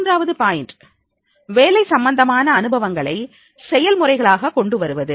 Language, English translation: Tamil, Third point is bring more work related experiences into the process